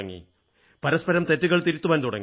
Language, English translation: Malayalam, They started correcting each other's language errors